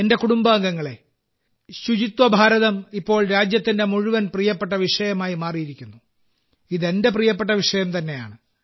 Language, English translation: Malayalam, My family members, 'Swachh Bharat' has now become a favorite topic of the entire country